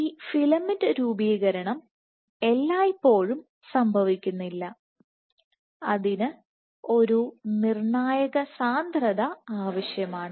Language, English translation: Malayalam, Now this filament formation does not happen at all times, but will require a critical concentration